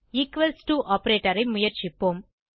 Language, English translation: Tamil, Lets us try equals to operator